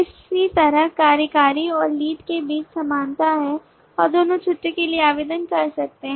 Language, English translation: Hindi, similarly there is commonly between the executive and lead as well both of them can apply for leave